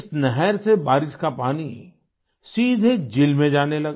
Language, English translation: Hindi, Through this canal, rainwater started flowing directly into the lake